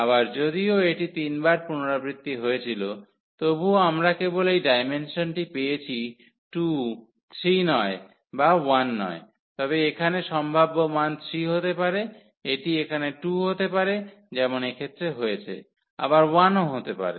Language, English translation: Bengali, So, again though it was repeated 3 times, but we got only this dimension as 2 not 3 and not 1, but the possible values here could be 3, it could be 2 as this is the case here, but it can be 1 as well